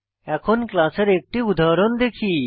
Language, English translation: Bengali, Let us look at an example of a class